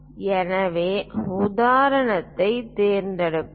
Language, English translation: Tamil, So, let us pick an example